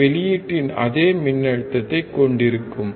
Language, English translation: Tamil, It will have the same voltage as the output